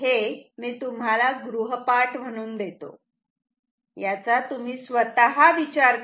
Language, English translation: Marathi, I keep it as a homework, you think yourself